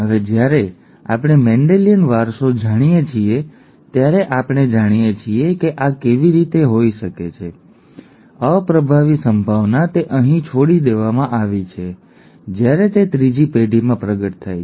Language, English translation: Gujarati, Now that we know Mendelian inheritance, we know how this can happen, the recessive possibility it is skipped here whereas it is manifested in the third generation